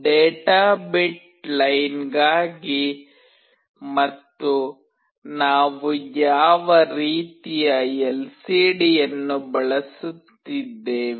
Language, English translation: Kannada, These are for the data bit line and what kind of LCD we are using